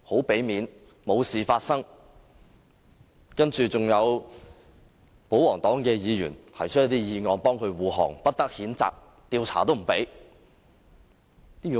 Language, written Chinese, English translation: Cantonese, 然後，你准許保皇黨議員提出這項議案，為他護航，不得譴責，連調查也不准。, And now you even allowed a pro - establishment Member to move this motion to defend Dr HO save him from censure and investigation